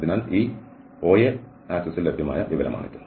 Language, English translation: Malayalam, So, this is the information available along this OA axis